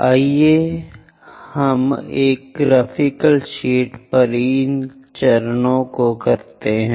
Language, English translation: Hindi, Let us do that these steps on a graphical sheet